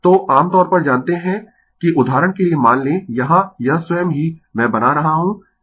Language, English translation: Hindi, So, generally you know that suppose for example, here, here it itself I making it helps